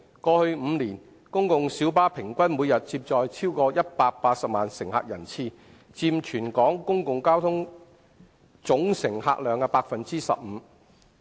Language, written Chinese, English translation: Cantonese, 過去5年，公共小巴平均每天接載超過180萬乘客人次，約佔全港公共交通總乘客量的 15%。, Over the past five years the average daily patronage of PLBs was over 1.8 million passengers making up about 15 % of the total public transport patronage in Hong Kong